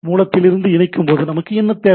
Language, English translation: Tamil, So, so, while connecting from the source, what we require